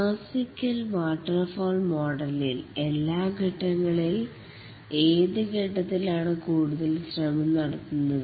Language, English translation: Malayalam, Out of all the phases in the classical waterfall model, which phase takes the most effort